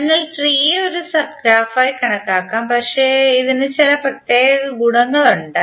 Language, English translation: Malayalam, So tree can also be consider as a sub graph, but it has some special properties